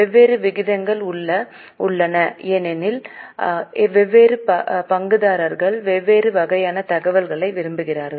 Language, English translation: Tamil, There are variety of ratios which are calculated because different stakeholders want different type of information